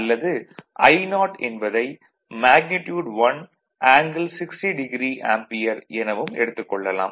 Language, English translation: Tamil, So, it is actually your I 0 is equal to magnitude will be 1 and angle will be minus 60 degree ampere